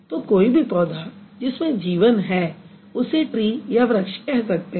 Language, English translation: Hindi, So, any kind of plant which has life, we can also call it a tree